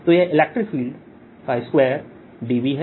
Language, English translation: Hindi, so this is electric field square d v